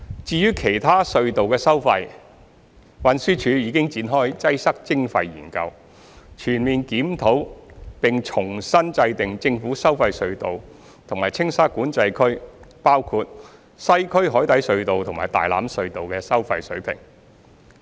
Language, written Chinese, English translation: Cantonese, 至於其他隧道的收費，運輸署已展開"擠塞徵費"研究，全面檢討並重新制訂政府收費隧道及青沙管制區，包括西區海底隧道和大欖隧道的收費水平。, As for the tolls of other tunnels TD has commenced the study on Congestion Charging to comprehensively review and reset the toll levels of the government tolled tunnels and TSCA including the Western Harbour Crossing and Tai Lam Tunnel